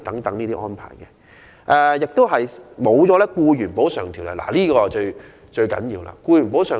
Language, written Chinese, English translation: Cantonese, 同時，他們亦得不到《僱員補償條例》的保障，而這點至為重要。, At the same time they are not protected under the Employees Compensation Ordinance and this point is very important